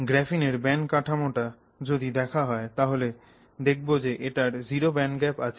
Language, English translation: Bengali, So, if you look at the band structure of graphene you find that it has a zero band gap